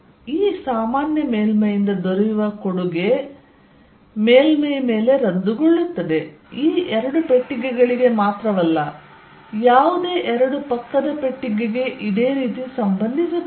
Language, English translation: Kannada, So, the contribution on the surface from this common surface will cancels, not only this two boxes any two adjacent box will happen